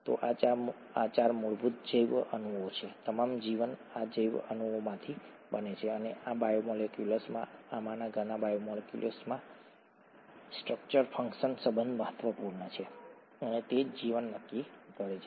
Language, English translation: Gujarati, So these are the 4 fundamental biomolecules, all life is made out of these biomolecules and the structure function relationship is important in these biomolecules, many of these biomolecules, and that is what determines life itself